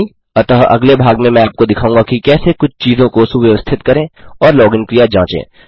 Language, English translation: Hindi, So in the next part I will show you how to tidy a few things out and test the login process